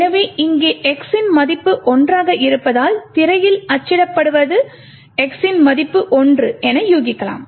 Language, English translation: Tamil, So, one would guess that since x is equal to one over here what would likely be printed on the screen is that the value of x is 1